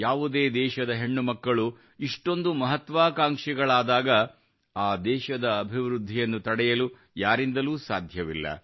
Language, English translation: Kannada, When the daughters of a country become so ambitious, who can stop that country from becoming developed